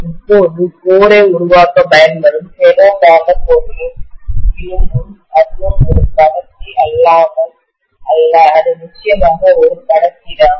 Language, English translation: Tamil, Now the iron of the ferromagnetic material which is used to make the core, that is also not a non conductor, that is definitely a conductor